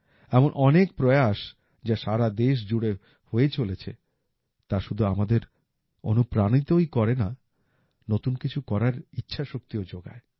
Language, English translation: Bengali, Many such efforts taking place across the country not only inspire us but also ignite the will to do something new